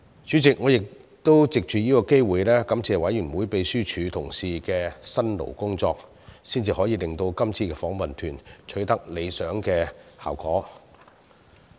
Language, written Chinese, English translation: Cantonese, 主席，我亦藉此機會感謝秘書處同事的辛勞工作，才可令今次的訪問團取得理想效果。, President I would also like to take this opportunity to thank our colleagues in the Secretariat for working so hard to make the visit a success